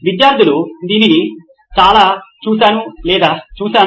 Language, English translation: Telugu, I have seen or seen students do it